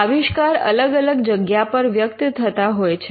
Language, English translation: Gujarati, Now, invention manifest in different places